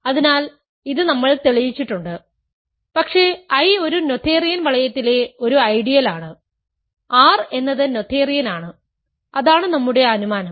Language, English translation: Malayalam, So, this we have proved, but I is an ideal in a noetherian ring right, R is noetherian that is our assumption